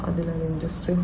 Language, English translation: Malayalam, So, in Industry 4